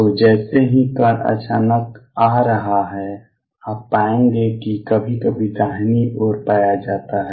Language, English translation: Hindi, So, as the particle has coming in suddenly you will find the sometimes is found on the right hand side